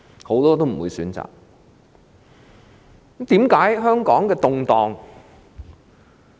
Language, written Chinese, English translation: Cantonese, 很多人不會選擇這樣做。, Many people will not choose to do so